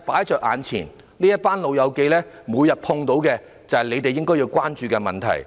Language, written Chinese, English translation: Cantonese, 這群"老友記"每天碰到的困難，便是政府應關注的問題。, The difficulties which the elderly run into every day should be the Governments concern